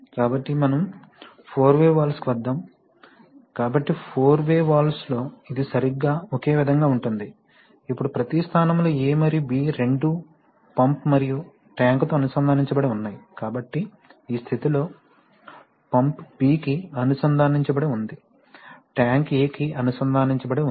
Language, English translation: Telugu, So, coming to, then we come to four way valves, so in four way valves, it is exactly similar only thing is that now in each position both A and B are connected to pump and tank, so in this position, pump is connected to B, tank is connected to A